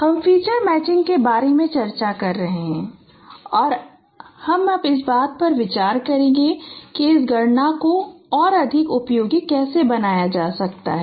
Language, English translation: Hindi, We are discussing about feature matching and now we will be considering that how this computation could be made more efficient